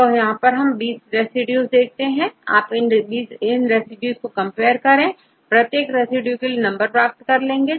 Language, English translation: Hindi, So, here you have 20 residues, you compare with these residues and then you can find the number of residues in each 20 residues